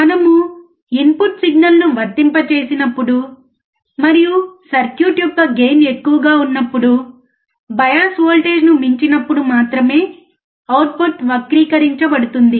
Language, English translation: Telugu, We have already seen that when we apply input signal and the gain of the circuit is high, the output will be distorted only when it exceeds the bias voltage